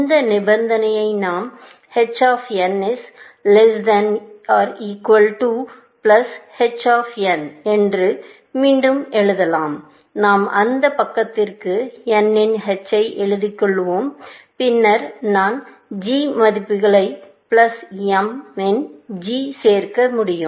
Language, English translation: Tamil, We can rewrite this condition as follows; h of n is less than equal to, plus h of n; I will take just h of n to that side and then, I can add g values; plus g of m